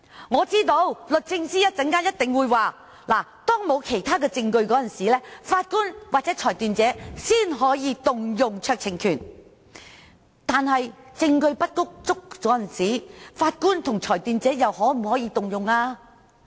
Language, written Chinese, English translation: Cantonese, 我知道律政司一定會說，只有在當沒有其他證供的情況下，法官或裁斷者才可行使酌情權，但在證據不足的情況下，法官和裁斷者又可否行使酌情權呢？, Well I know the Department of Justice will surely tell us that only when there is no other evidence available for determining an issue can the judge or the decision maker exercise a discretion . Nevertheless can a discretion be exercised if there is insufficient evidence? . The Department of Justice will say that the judge shall exercise his discretion in accordance with the principle of justice